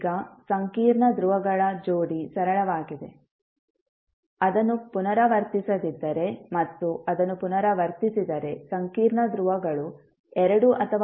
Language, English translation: Kannada, Now, pair of complex poles is simple, if it is not repeated and if it is repeated, then complex poles have double or multiple poles